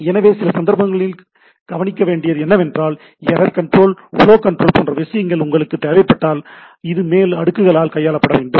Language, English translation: Tamil, So, in some cases what will see that so, if you require this other type of things, error control, flow control etcetera, then this has to be handled by at the upper layers right